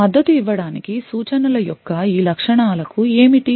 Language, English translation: Telugu, What are the instructions are available for supporting these features